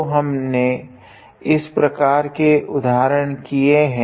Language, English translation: Hindi, So, we did some an example like this